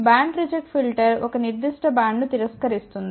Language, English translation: Telugu, Band reject filter which actually rejects a set in band